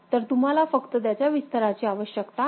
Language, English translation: Marathi, So, you just need extension of that